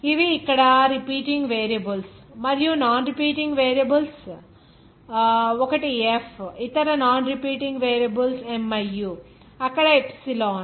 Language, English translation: Telugu, These are the repeating variables and non repeating variables here; one is F other non repeating variables miu, epsilon there